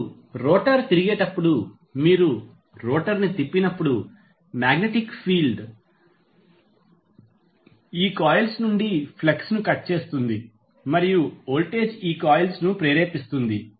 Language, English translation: Telugu, Now, when the rotor rotates, as we saw that when you rotate the rotor the magnetic field will cut the flux from these coils and the voltage will be inducing these coils